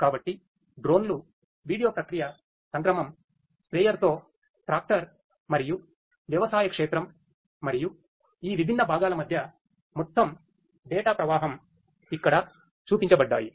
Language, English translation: Telugu, So, drones, video processing module, tractor with sprayer which can be actuated, and agricultural field and the overall flow of data between these different components are shown over here